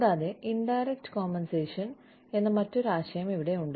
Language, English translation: Malayalam, And, there is another concept here, called indirect compensation